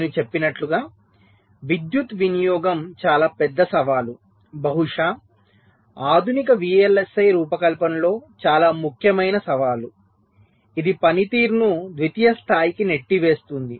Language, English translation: Telugu, so, as i said, power consumption is ah very big challenge, perhaps the most important challenge in modern day vlsi design, which is pushing performance to a secondary level